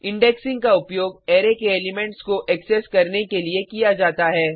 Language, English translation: Hindi, Indexing is used to access elements of an array